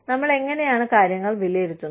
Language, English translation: Malayalam, How do we assess things